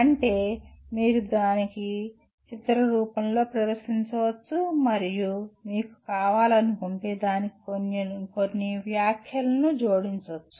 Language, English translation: Telugu, That is you can present it in the form of a picture and if you want add a few comments to that